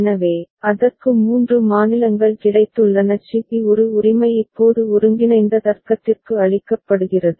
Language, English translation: Tamil, So, that has got three states C B A right which is now fed to the combinatorial logic